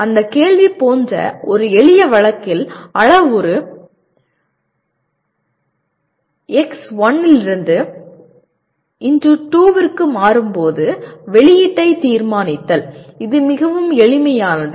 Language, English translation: Tamil, In a simple case like that question is determine the output when the parameter changes from a value x1 to value x2 which is a very simple one